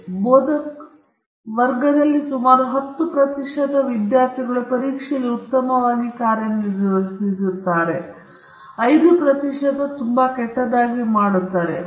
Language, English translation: Kannada, So, the instructor may be able to say, okay in this class may be about 10 percent of the students will do very well in the exams, may be 5 percent of the class will do pretty badly